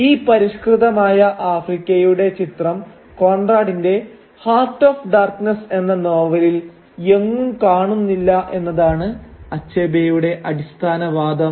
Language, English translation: Malayalam, And Achebe’s basic argument therefore is that this image of a civilised Africa is completely missing in Conrad’s novel Heart of Darkness